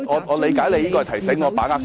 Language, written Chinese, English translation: Cantonese, 我理解你是在提醒我把握時間。, I assume that you are reminding me to make the best use of my time